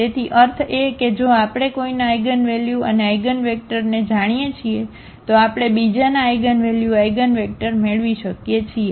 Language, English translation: Gujarati, So, meaning if we know the eigenvalues and eigenvector of one, we can get the eigenvalues, eigenvectors of the other